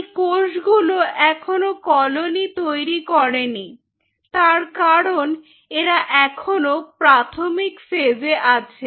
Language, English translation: Bengali, there is no colony because they are still with very early phase